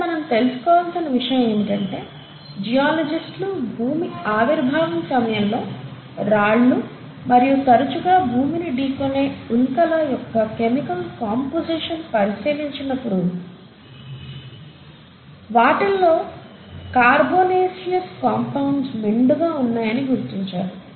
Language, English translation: Telugu, And, it should also be noted that when geologists went on analyzing the chemical composition of the early rocks of earth and the meteorites, which continue to keep hitting us, they were found to be very rich in carbonaceous compounds